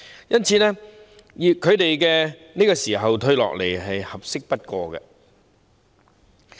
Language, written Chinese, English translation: Cantonese, 因此，他們在這個時候退下來，是合適不過的。, Therefore it is the most opportune moment for them to retire